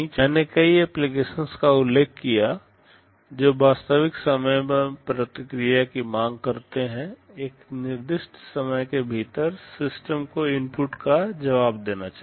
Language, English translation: Hindi, I mentioned many applications demand real time response; within a specified time, the system should respond to the inputs